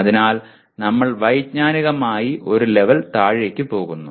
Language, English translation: Malayalam, So we go cognitively one level lower